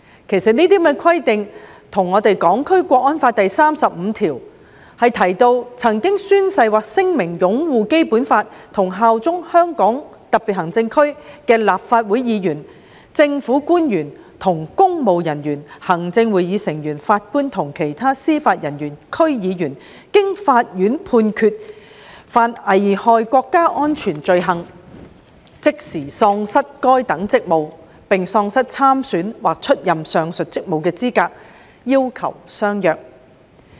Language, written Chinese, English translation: Cantonese, 其實，這些規定跟《香港國安法》第三十五條中有關曾經宣誓或聲明擁護《基本法》和效忠香港特別行政區的立法會議員、政府官員及公務人員、行政會議成員、法官及其他司法人員、區議員，經法院判決犯危害國家安全罪行，即時喪失該等職務，並喪失參選或出任上述職務的資格的要求相若。, In fact these requirements are similar to the requirement in Article 35 of the National Security Law that if a member of the Legislative Council a government official a public servant a member of the Executive Council a judge or a judicial officer or a member of the District Councils has taken an oath or made a declaration to uphold the Basic Law and swear allegiance to the Hong Kong Special Administrative Region HKSAR but is convicted of an offence endangering national security by a court he or she shall be removed from his or her office upon conviction and shall be disqualified from standing the aforementioned elections or from holding any of the aforementioned posts